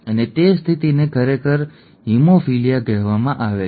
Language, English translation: Gujarati, And that condition is actually called haemophilia